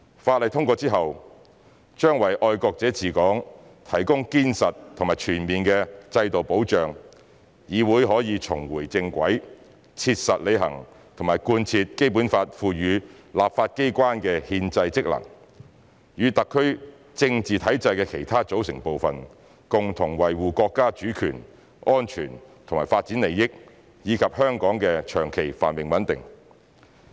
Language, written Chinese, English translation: Cantonese, 法例通過之後，將為"愛國者治港"提供堅實和全面的制度保障，議會可以重回正軌，切實履行和貫徹《基本法》賦予立法機關的憲制職能，與特區政治體制的其他組成部分，共同維護國家主權、安全和發展利益，以及香港的長期繁榮穩定。, Upon its endorsement the legislation will offer solid and comprehensive institutional safeguards for the principle of patriots administering Hong Kong and enable the legislature to get back on track pragmatically perform and uphold its constitutional functions and duties as the legislature conferred by the Basic Law while also joining hands with other components of the SARs political system in safeguarding the sovereignty security and development interests of the country and Hong Kongs long - term prosperity and stability